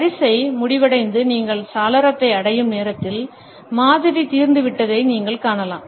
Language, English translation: Tamil, By the time the queue ends and you reach the window, you find that the model has been exhausted